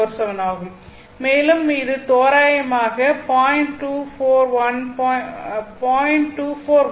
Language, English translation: Tamil, 2417, and this is roughly 0